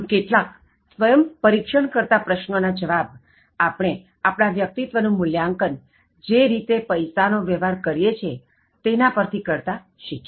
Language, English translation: Gujarati, So, by the way of answering some self probing questions, we learned how to assess our personalities by the way you have been dealing with money